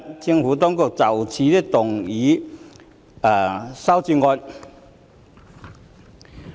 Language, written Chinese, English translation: Cantonese, 政府當局會就此動議修正案。, In this connection the Administration will move an amendment